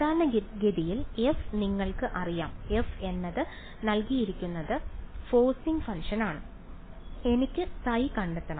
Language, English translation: Malayalam, Typically, f is known to you, f is the given forcing function and I want to find out phi ok